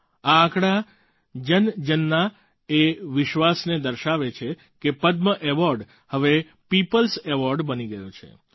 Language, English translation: Gujarati, This statistic reveals the faith of every one of us and tells us that the Padma Awards have now become the Peoples' awards